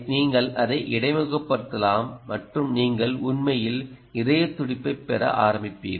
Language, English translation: Tamil, you can interface it and you will start getting heartbeat quite actually